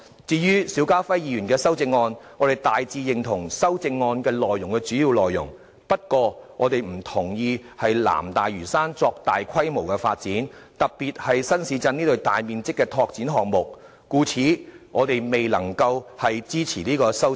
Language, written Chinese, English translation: Cantonese, 至於邵家輝議員的修正案，我們大致認同修正案的主要內容，不過不同意在南大嶼山作大規模發展，特別是新市鎮這類大面積的拓展項目，故此我們未能支持該項修正案。, As for Mr SHIU Ka - fais amendment we agree with the main points but not the proposed major development in South Lantau especially development projects in new towns which cover sizable areas so we cannot support his amendment